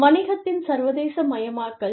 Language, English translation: Tamil, The internationalization of business